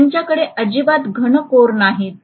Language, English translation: Marathi, They will not have solid cores at all